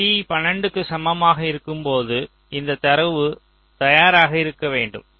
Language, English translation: Tamil, so at this t equal to twelve, this data should be ready